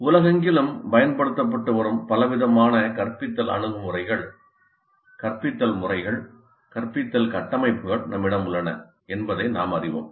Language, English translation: Tamil, We know that we have a wide variety of instructional approaches, instructional methods, instructional architectures that are being used across the world